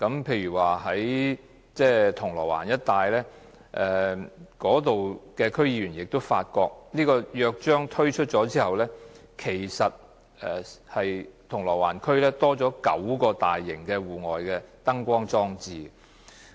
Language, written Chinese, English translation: Cantonese, 例如銅鑼灣的區議員發覺推出《約章》之後，銅鑼灣區反為增加了9個大型戶外燈光裝置。, For example District Council members have found that nine new external light box installations have been put up in Causeway Bay after the Charter was introduced